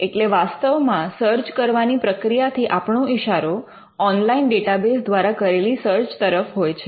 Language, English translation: Gujarati, So, in practice when a search is being done we are referring to searching online databases